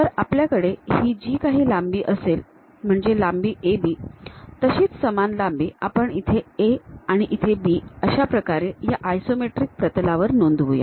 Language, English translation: Marathi, Now, whatever the length AB, the same length mark it as A and B on this isometric plane construction